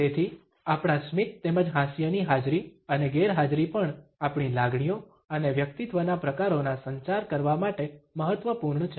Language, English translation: Gujarati, So, our smiles as well as laughter the presence and absence of these also matter in order to communicate our emotions and personality types